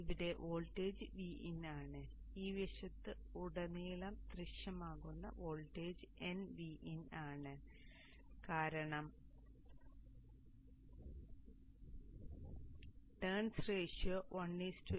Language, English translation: Malayalam, The voltage here is VN and the voltage that appears across on this side is N times VIN because of the terms ratio 1 is to N